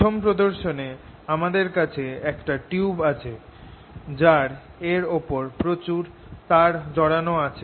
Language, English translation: Bengali, in the first demonstration i have this tube on which a lot of wire has been wound